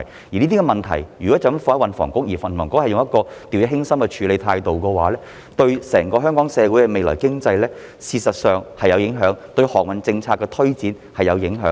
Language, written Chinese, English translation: Cantonese, 如果將這些問題全部交給運輸及房屋局，而局方用掉以輕心的態度處理，便會對香港整個社會的未來和經濟有影響，對航運政策的推展也有影響。, If all these issues are left to THB and the Bureau takes them half - heartedly it will have an impact on the future and economy of the whole society of Hong Kong and for that matter the advancement of shipping policy